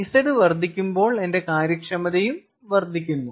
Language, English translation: Malayalam, plain and simple: z increases, my efficiency increases